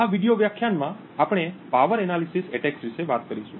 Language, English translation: Gujarati, In this video lecture we will talk about something known as Power Analysis Attacks